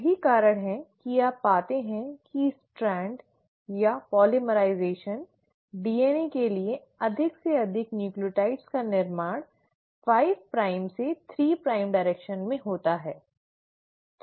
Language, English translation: Hindi, That is why you find that the Strand or the polymerisation, building up of more and more nucleotides for DNA happens from a 5 prime to a 3 prime direction